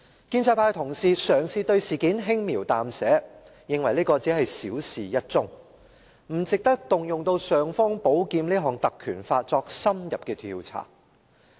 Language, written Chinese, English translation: Cantonese, 建制派同事嘗試對事件輕描淡寫，認為只是小事一樁，不值得動用"尚方寶劍"——《條例》——作深入調查。, Pro - establishment Members all try to play down the incident saying that it is only a minor incident not warranting the invocation of the Ordinance the imperial sword to launch any thorough investigation